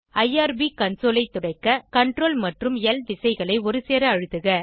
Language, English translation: Tamil, Clear the irb console by pressing Ctrl, L simultaneously